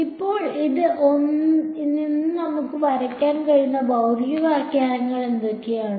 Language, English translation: Malayalam, So, what are the physical interpretations that we can draw from this